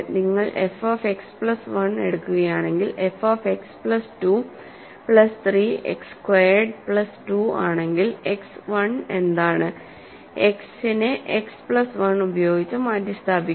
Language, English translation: Malayalam, If you take f of X plus 1, so f X is X 2 plus 3 X squared plus 2 if you take f of X plus 1 what is this is X I am replacing X by X plus 1 here